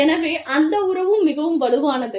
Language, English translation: Tamil, So, that relationship is also very strong